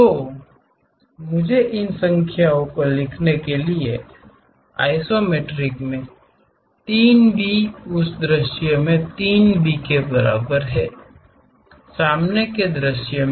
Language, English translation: Hindi, So, let me write these numbers 3 B in isometric is equal to 3 B in that view, in the front view